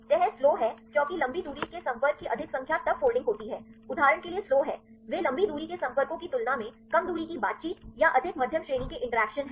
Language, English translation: Hindi, Folding is slow because more number of long range contact then the there is folding is slow for example, they are more short range interactions or more medium range interactions then compared with the long range contacts